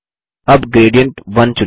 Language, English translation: Hindi, Now select Gradient1